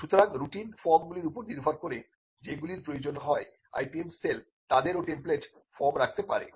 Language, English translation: Bengali, So, depending on the routine forms that are required the IPM cell can also have template forms